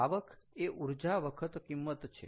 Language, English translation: Gujarati, revenue is your energy times price